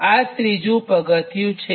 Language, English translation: Gujarati, so this is the third step